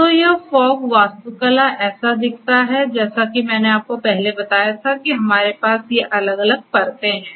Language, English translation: Hindi, So, this is how this fog architecture looks like, as I told you earlier we have these different layers